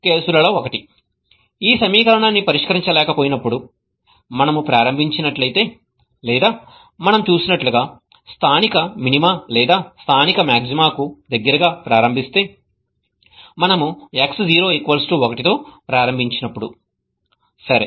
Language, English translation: Telugu, One of the cases when it is unable to solve this equation is if we start at or if we start close to a local minima or a local maxima as we saw when we started with x0 equal to 1